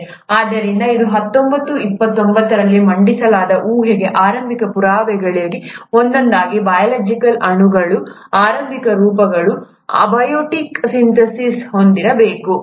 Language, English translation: Kannada, So this was one of the earliest proofs to the hypothesis which was put forth in nineteen twenty nine, that the early forms of biological molecules must have had an abiotic synthesis